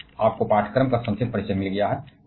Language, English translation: Hindi, Today you have got a brief introduction to the course